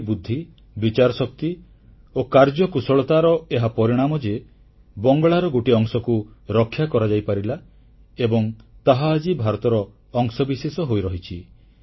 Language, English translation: Odia, It was the result of his understanding, prudence and activism that a part of Bengal could be saved and it is still a part of India